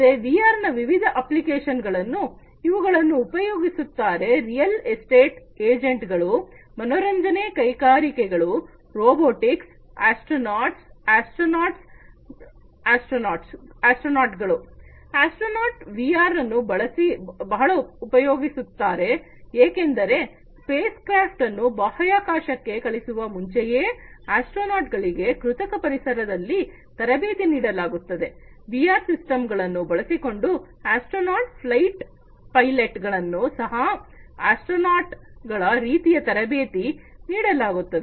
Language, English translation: Kannada, So, there are different applications of VR in terms of you know used by real estate agents, entertainment industries, robotics, astronauts; astronauts use VR a lot because you know even before and you know and a space craft is sent to the in the space, the astronauts are trained in the virtual environments, using VR systems, the astronauts are trained similarly for the flight pilots, as well